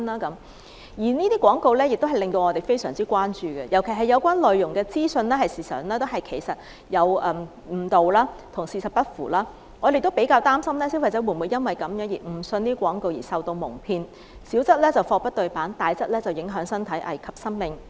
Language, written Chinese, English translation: Cantonese, 這些廣告同樣引起我們關注，尤其是有關的資訊內容誤導、跟事實不符，我們擔心消費者會否誤信廣告而受到矇騙，小則貨不對辦，大則影響身體，危及生命。, These advertisements come to our attention . In particular we are concerned that consumers may be deceived by the information in the advertisements which may be misleading and untrue . The treatments may not match up with the advertised specifications; and worse still they may even be harmful to the body and life - threatening